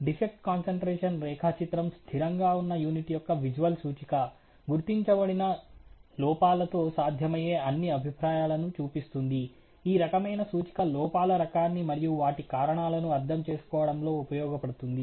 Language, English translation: Telugu, A defect concentration diagram is a visual representation of the unit under steady, showing all possible views with possible defects identified on it, the type of representation is usefull in understanding the type of defects and their possible causes